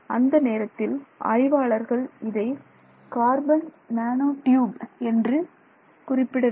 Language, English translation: Tamil, It is just that at that time they did not name it as a carbon nanotube